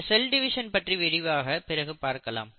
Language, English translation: Tamil, We will talk about cell division later